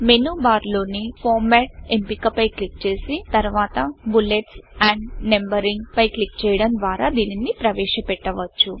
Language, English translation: Telugu, This is accessed by first clicking on the Format option in the menu bar and then clicking on Bullets and Numbering